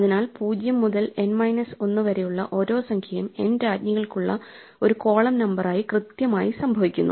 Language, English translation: Malayalam, So, each number 0 to N minus 1 occurs exactly once as a column number for the n queens